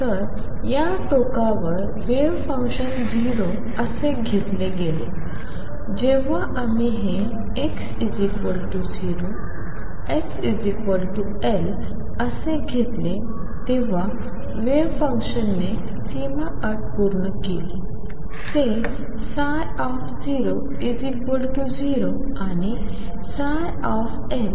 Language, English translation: Marathi, So, the wave function was taken to be 0 at these edges, when we took this to be x equals 0 and x equals L the wave function satisfied the boundary condition; that psi at 0 0 and psi at L was 0